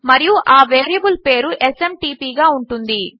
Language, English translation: Telugu, And the variable name is SMTP